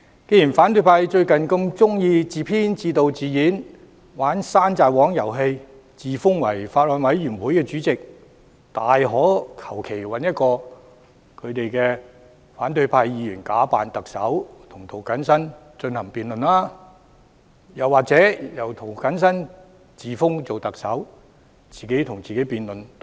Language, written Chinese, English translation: Cantonese, 既然反對派最近喜歡自編、自導、自演，玩"山寨王"遊戲，自封法案委員會主席，他們大可隨便找一位反對派議員假扮特首與涂謹申議員進行辯論，又或由涂謹申議員自封特首，自己與自己辯論也可。, Since those in the opposition camp have recently taken a liking for petty tyranny games scripted directed and acted by themselves with a self - proclaimed Chairman of the Bills Committee they might as well get one of their Members to impersonate the Chief Executive for a debate with Mr James TO or Mr James TO may declare himself Chief Executive to debate with himself . That will also do